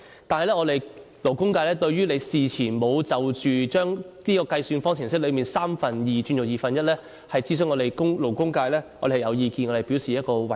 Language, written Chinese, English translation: Cantonese, 但是，對於你事前沒有就把計算方程式由三分之二轉為二分之一而諮詢勞工界，我們勞工界是有意見的，並表示遺憾。, However we in the labour sector find it regrettable that you had not consulted the labour sector beforehand on the proposal to replace the two - thirds formula with a one - half formula as the basis of calculation and we do have an opinion about this